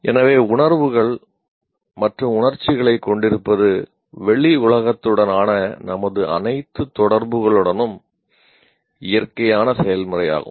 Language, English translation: Tamil, So having feelings and emotions is a natural process with all our interactions with the outside world